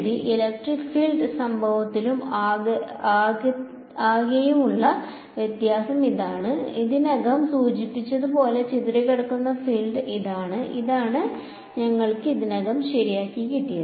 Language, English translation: Malayalam, So, the difference in the electric field incident and total is this is the scattered field as I already mentioned and this is what we already had ok